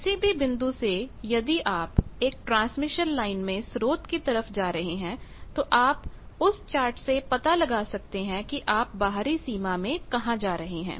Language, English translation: Hindi, From any point if you are in a transmission line you are going to source you can find out where you are going in the outer boundary